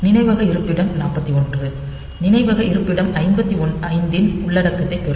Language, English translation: Tamil, So, memory location 41 will get the content of memory location 55